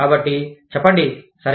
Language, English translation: Telugu, So, say, okay